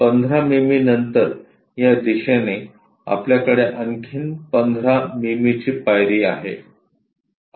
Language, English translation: Marathi, On this direction after 15 mm we have the step length of another 15 mm